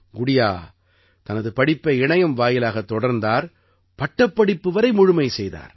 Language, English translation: Tamil, Gudiya carried on her studies through the internet, and also completed her graduation